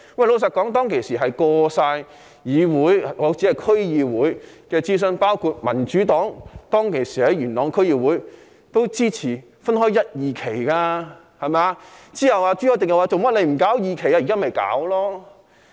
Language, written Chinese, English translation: Cantonese, 老實說，當時已經過議會——我說的是區議會——諮詢，包括當時元朗區議會的民主黨也支持分開一、二期進行。, To tell the truth the consultation of the proposal had gone through the Council―I am referring to the District Council―the members of Yuen Long District Council from the Democratic Party at the time also supported the implementation of the project in two phases